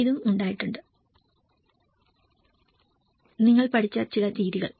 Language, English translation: Malayalam, This has been also, some of the methods you have learnt